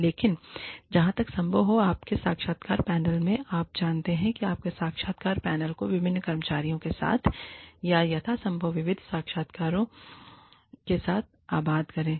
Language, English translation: Hindi, But, as far as possible, have your interview panel, you know, populate your interview panel, with as diverse employees, or as diverse interviewers, as possible